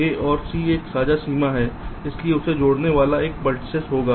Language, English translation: Hindi, a and c is having a common boundary, so there will an edge connecting this